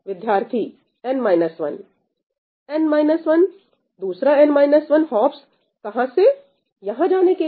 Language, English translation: Hindi, Root n minus 1, another root n minus 1 hops to go from here to here